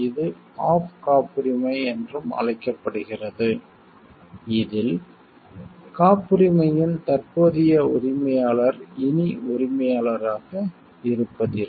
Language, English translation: Tamil, This is also called off patent in which the current owner of the patent no longer ceases to be the owner